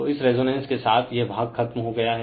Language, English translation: Hindi, So, with this with this your resonance part is over